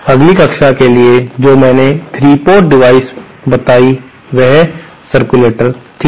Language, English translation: Hindi, The next class of 3 port devices that I stated was circulators